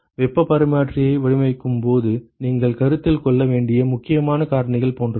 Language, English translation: Tamil, Like what are the important factors you have to consider while designing heat exchanger